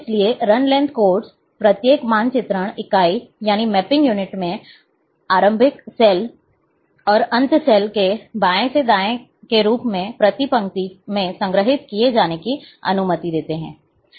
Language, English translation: Hindi, So, Run Length Codes allow points in each mapping unit to be stored, per row, in terms of left to right, of a begin cell and end cell